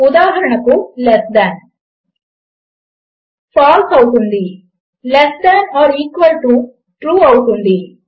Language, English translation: Telugu, So for example less than would be False, less than or equal to would be True